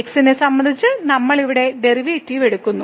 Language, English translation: Malayalam, So, we are taking here derivative with respect to